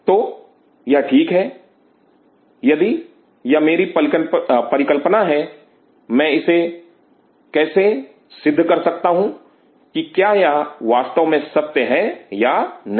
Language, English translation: Hindi, So, it is fine if this is my hypothesis how I can prove this hypothesis, whether this is really true or not